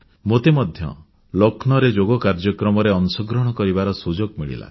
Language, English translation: Odia, I too had the opportunity to participate in the Yoga event held in Lucknow